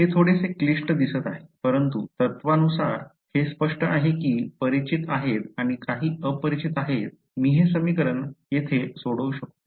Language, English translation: Marathi, It looks a little complicated, but in principle its clear there are knowns and there are unknowns I can solve this equation over here ok